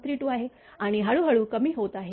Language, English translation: Marathi, 32 and gradually decreasing right